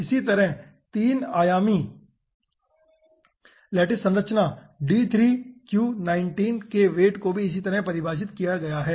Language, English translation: Hindi, okay, similarly, for the 3 dimensional lattice structure, d3q19, weights are defined in this fashion